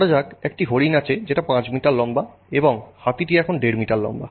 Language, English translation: Bengali, Let's say suddenly we have deer which is about 5 meters tall and the elephant which is now 1